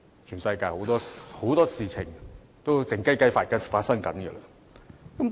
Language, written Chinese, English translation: Cantonese, 全世界有很多事情都是"靜雞雞"地進行的。, In this world many things are conducted in a clandestine manner